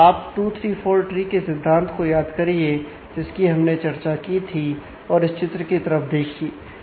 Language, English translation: Hindi, So, just recall the notion of 2 3 4 tree that we had discussed and look at this diagram